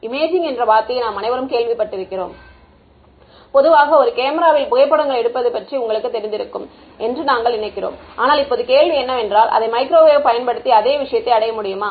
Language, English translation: Tamil, We have all heard the word imaging and usually we think of you know a camera taking photographs, but now the question is can the same thing sort of be achieved using microwaves